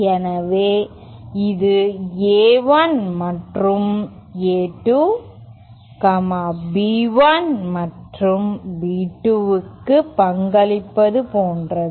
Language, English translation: Tamil, So, it is like A1 and A2 contribute to B1 and B2